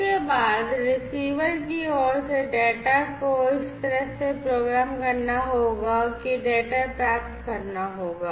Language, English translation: Hindi, After that for the receiver side, the data will have to program in such a way that the data will have to be received right